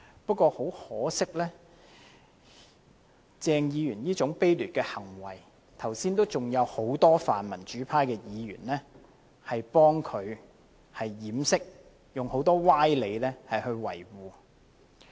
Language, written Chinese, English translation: Cantonese, 不過，很可惜，即使鄭議員做出這種卑劣的行為，剛才仍有很多泛民主派議員給他掩飾，用很多歪理來維護。, Unfortunately despite his dishonourable behaviour just now many pan - democrat Members have covered up for him by employing much sophistry